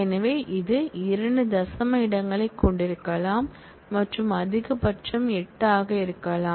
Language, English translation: Tamil, So, it can have 2 decimal places and be of size 8 maximum